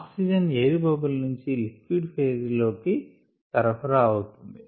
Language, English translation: Telugu, the oxygen is supplied from the air bubble into the liquid